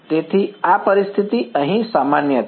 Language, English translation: Gujarati, So, this situation is general over here